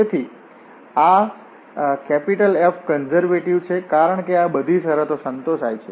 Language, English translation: Gujarati, So, this F is conservative because all these conditions are satisfied